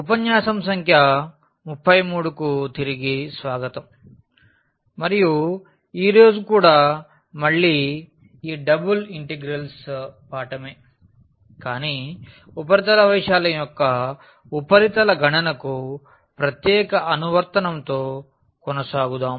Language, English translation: Telugu, Welcome back this is lecture number 33 and today again we will continue with this Double Integrals, but with a special application to surface computation of the surface area